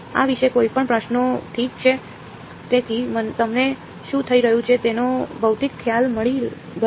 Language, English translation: Gujarati, Any questions about this, ok so you got a physical idea of what is happening